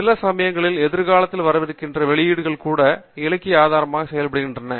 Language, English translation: Tamil, Sometimes even publications that are going to come up in future can also act as a source of literature